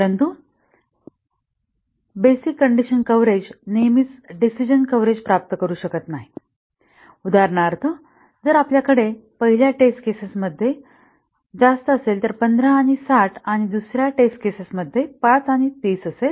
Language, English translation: Marathi, But basic condition coverage may not always achieve decision coverage, for example, if we had a greater than the first test case is 15 and 60 and the second test case is 5 and 30